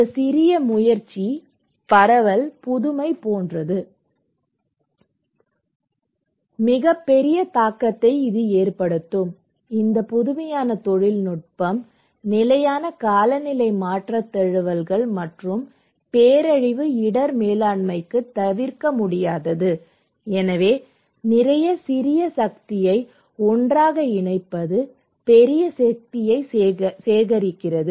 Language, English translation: Tamil, This small effort can have a very gigantic impact like diffusion is of innovation, this innovative technology is inevitable for sustainable climate change adaptations and disaster risk management so, putting a lot small power together adds up to big power right, putting a lot of small power, small power ending at a very gigantic big power, okay